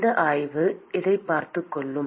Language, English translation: Tamil, This gradient will take care of that